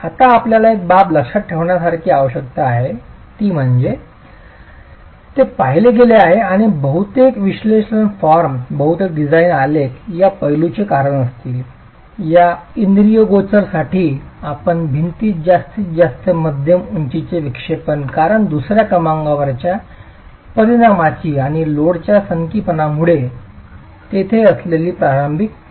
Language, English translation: Marathi, Now one aspect that you need to keep in mind is it has been observed and most of the analytical forms, most of the design graphs would account for this aspect for this phenomenon that when the sum of the mid helection, the maximum mid height deflection that you get in the wall because of the second order effect and the initial eccentricity that is there because of the eccentricity of the load